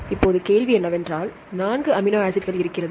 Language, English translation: Tamil, So, there are three different types of amino acids